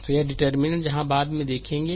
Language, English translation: Hindi, So, where this determinant that will see later